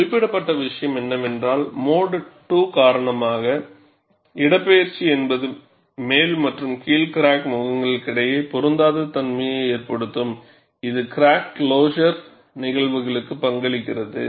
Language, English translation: Tamil, And what is mentioned is, the displacement due to mode 2, can cause mismatch between upper and lower crack faces, contributing to crack closure phenomena